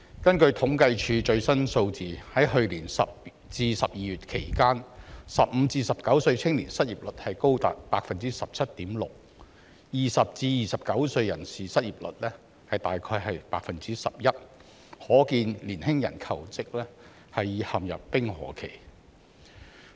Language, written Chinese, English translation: Cantonese, 根據政府統計處最新數字，在去年10月至12月期間 ，15 歲至19歲青年失業率高達 17.6%， 而20歲至29歲人士失業率約 11%， 可見年輕人求職陷入冰河期。, According to the latest figures from the Census and Statistics Department between October and December last year the unemployment rate of youth aged 15 to 19 was as high as 17.6 % while that of those aged 20 to 29 was about 11 % reflecting an employment ice age for young jobseekers